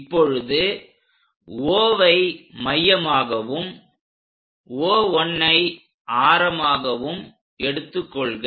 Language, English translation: Tamil, Now, with O as center and radius O1